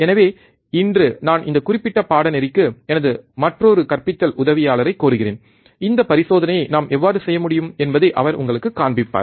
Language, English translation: Tamil, So, for today I will request my another teaching assistant for this particular course, and he will be showing you how we can perform this experiment